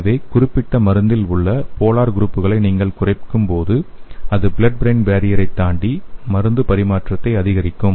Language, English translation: Tamil, So when you reduce the polar groups in the particular drug, it will increase the transfer of the drug across the blood brain barrier